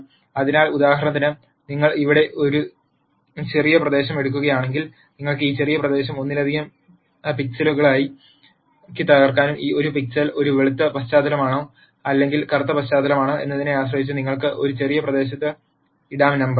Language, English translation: Malayalam, So, in this case for example, if you take a small region here you can break this small region into multiple pixels and depending on whether a pixel is a white background or a black background you can put in a number